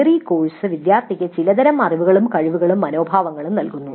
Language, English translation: Malayalam, The theory course gives certain kind of knowledge, skills and attitudes to the student